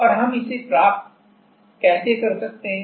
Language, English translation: Hindi, And how are we getting that